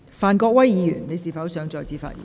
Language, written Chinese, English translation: Cantonese, 范國威議員，你是否想再次發言？, Mr Gary FAN do you wish to speak again?